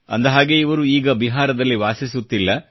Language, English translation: Kannada, In fact, he no longer stays in Bihar